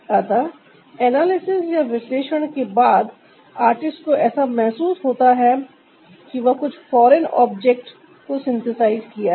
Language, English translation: Hindi, so after the analysis, the artist felt like synthesizing some foreign object